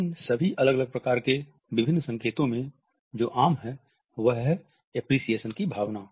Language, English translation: Hindi, Even though what is common in all these isolated and different signals is a sense of appreciation